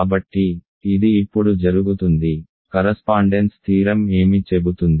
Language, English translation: Telugu, So, this is done now, what does the correspondence theorem say